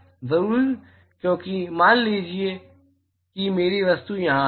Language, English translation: Hindi, Sure because, see supposing, supposing my object is here